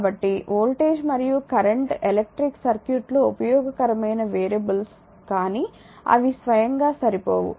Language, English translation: Telugu, So, therefore, voltage and current are useful variables in an electric circuit, but they are not sufficient by themselves